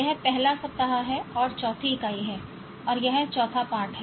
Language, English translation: Hindi, This is the first week and fourth unit and this is the fourth lesson